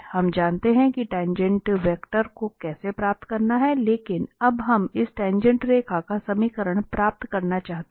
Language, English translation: Hindi, We know how to get the tangent vector, but now we want to get the equation of this tangent line